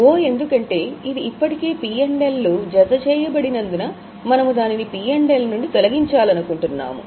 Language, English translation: Telugu, O because it is already added in P&L, we want to remove it from P&L